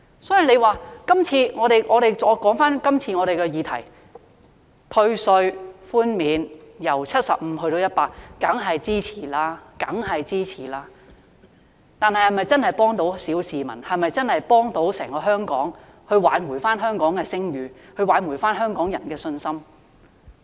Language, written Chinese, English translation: Cantonese, 所以，我想說回今次的議題，退稅寬免由 75% 增至 100%， 大家當然是支持的，但是否真的可以幫助小市民、可以真的幫助整個香港挽回聲譽和香港人的信心呢？, How can it be justified? . So back to the question under discussion . The increase of tax reductions from 75 % to 100 % is certainly supported by us but can it genuinely help the petty masses and restore Hong Kongs overall reputation and Hong Kong peoples confidence?